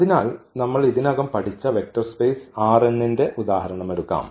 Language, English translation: Malayalam, So, let us take the example here the vector space R n which we have already studied